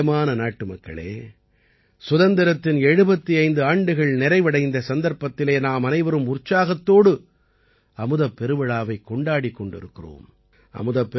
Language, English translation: Tamil, My dear countrymen, on the occasion of completion of 75 years of independence, all of us are celebrating 'Amrit Mahotsav' with full enthusiasm